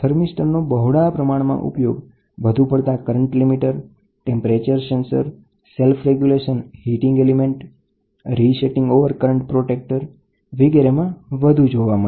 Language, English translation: Gujarati, A thermistor is widely used in inrush current limiters, temperature sensor, self resetting overcurrent protectors and self regulating heating element, we use thermistor, ok